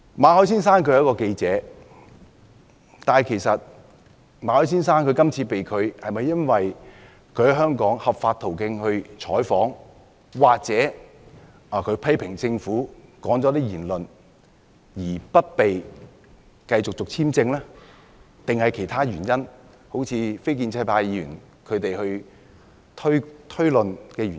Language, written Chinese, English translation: Cantonese, 馬凱先生是一名記者，今次他被拒入境，是否因為他在香港循合法途徑進行採訪或他曾批評政府，發表了一些言論，因而不獲續發簽證，還是有其他原因，如非建制派議員所推論的原因？, Mr MALLET is a journalist is the rejection of his entry due to his news reporting in Hong Kong through legal channels or due to his criticisms against the Government leading to his visa renewal application being disapproved; or is it due to other reasons not inferred by non - establishment Members?